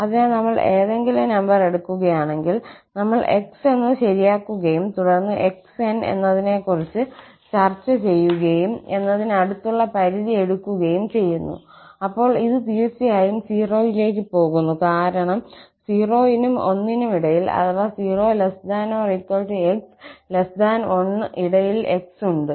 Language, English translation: Malayalam, So, if we take any number, we fix for x and then we talk about xn and take the limit as n approaches to infinity, then this is definitely going to 0 because x lies between 0 and 1 or x is smaller than 1